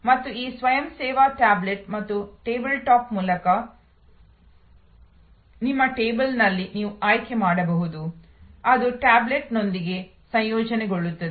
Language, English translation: Kannada, And you can make selection on your table through this self service tablet and a table top, which integrates with the tablet